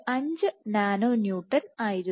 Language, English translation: Malayalam, 5 nano Newton